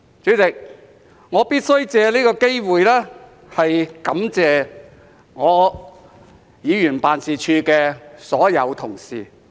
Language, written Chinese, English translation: Cantonese, 主席，我必須藉此機會感謝我的議員辦事處的所有同事。, President I must take this opportunity to thank all my colleagues in my Members office